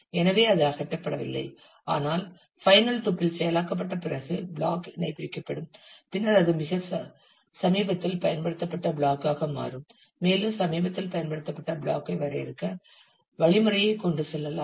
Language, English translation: Tamil, So, that it is not removed, but after the final tuple has been processed, the block will be unpinned and then it becomes a most recently used block and you can go with defining the most recently used block and having the strategy